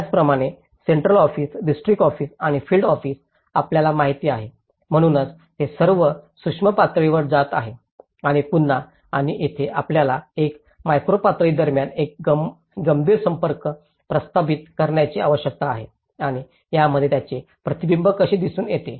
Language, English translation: Marathi, Similarly, central office, district office and the field office you know, so they are all going in a macro level to the micro level and again and here, we need to establish a serious contact between a macro level and how it is also reflected in the micro level